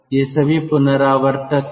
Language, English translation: Hindi, both of them are recuperator